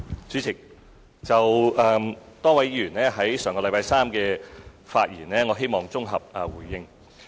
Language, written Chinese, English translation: Cantonese, 主席，就多位議員上星期三的發言，我希望綜合回應。, President I would like to provide an integrated reply with regard to Members speeches made last Wednesday